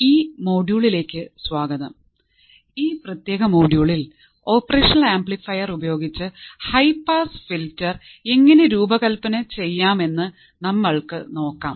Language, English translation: Malayalam, So, welcome to this module and in this particular module, we will see how the high pass filter can be designed using the operational amplifier